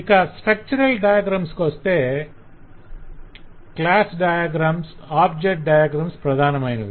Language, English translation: Telugu, coming to the structural diagrams, the main structural diagram, of course, are the class diagrams and object diagrams